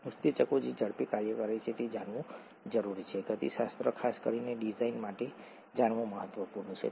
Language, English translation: Gujarati, The speeds at which enzymes act are important to know, the kinetics is important to know of especially for design